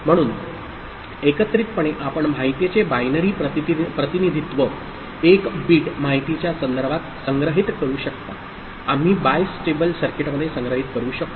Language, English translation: Marathi, So, together you can store in the context of binary representation of information, 1 bit information we can store in the bistable circuit